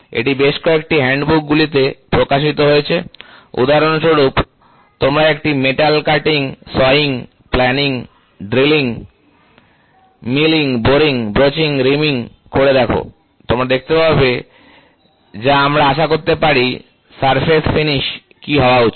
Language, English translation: Bengali, So, this is published in several hand books for example, you take metal cutting, sawing, planning, drilling, milling, boring, broaching, reaming you will see what should be the surface finish we can expect